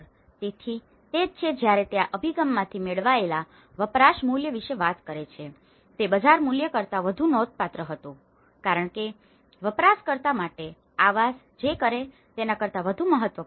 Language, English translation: Gujarati, So, that is where he talks about the use value derived from this approach was more significant than the market value, as what housing does for the user is more important than what it is